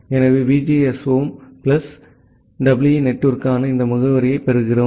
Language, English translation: Tamil, So, we get this address for the VGSOM plus EE network